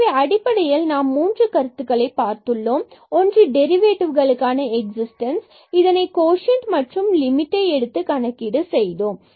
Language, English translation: Tamil, So, we have basically the three concept one was the existence of this derivative which is evaluated by this quotient and taking the limit